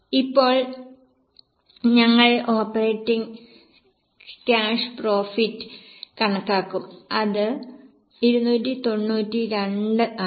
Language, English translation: Malayalam, Now we will calculate operating cash profit which is 292